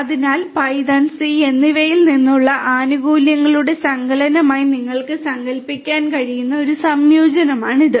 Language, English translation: Malayalam, So, it is a combination of you can think of conceptually as a combination of benefits from python and c